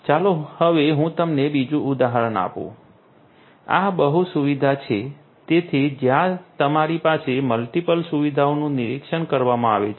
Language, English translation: Gujarati, Let me now give you another example, this is the multi facility so, where you have multiple facilities being monitored right